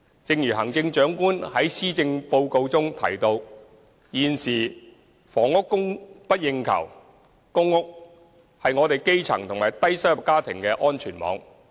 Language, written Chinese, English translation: Cantonese, 正如行政長官在施政報告中提到，現時房屋供不應求，公屋是基層及低收入家庭的安全網。, As pointed out by the Chief Executive in the Policy Address housing supply is currently in shortage and PRH is the safety net for the grass roots and low - income families